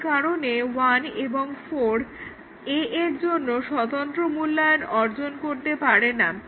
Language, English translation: Bengali, And therefore, one and four do not achieve independent evaluation of A